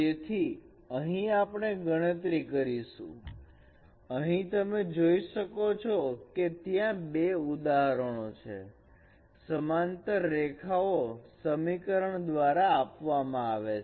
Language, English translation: Gujarati, So here we are going to compute here you can see that there is an example of two parallel lines